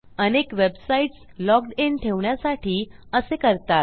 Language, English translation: Marathi, A lot of websites to do this to keep you logged in